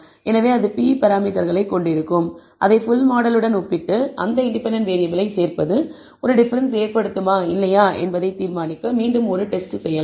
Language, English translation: Tamil, So, that will have p parameters, we can compare it with the full model and again perform a test to decide whether the inclusion of that independent variable makes a difference or not